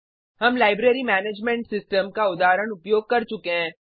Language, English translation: Hindi, We have used the example of a Library Management system